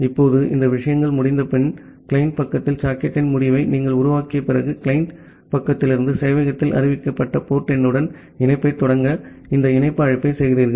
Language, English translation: Tamil, Now, after these things are done, after you have created the end of the socket at the client side, from the client side you make this connect call to initiate a connection to the port number which is announced by the server